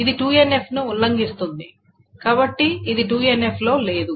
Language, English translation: Telugu, So it violates this 2NF